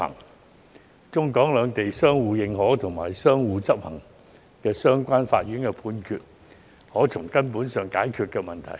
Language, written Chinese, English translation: Cantonese, 如中、港兩地可相互認可和執行相關的法院判決，便可從根本上解決問題。, With the presence of reciprocal recognition and execution of relevant court judgments between Mainland and Hong Kong we will then be able to get to the root of the problem and resolve it